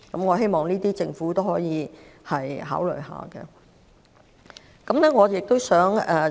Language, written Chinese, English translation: Cantonese, 我希望政府可以考慮這些措施。, I hope the Government can consider these measures